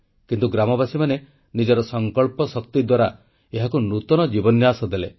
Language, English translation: Odia, But the villagers, through the power of their collective resolve pumped life into it